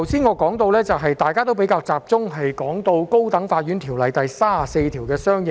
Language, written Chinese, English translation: Cantonese, 我剛才也提及，大家比較集中討論《高等法院條例》第34條的相應修訂。, As I mentioned earlier Members discussion is rather focused on the corresponding amendment to section 34 of the High Court Ordinance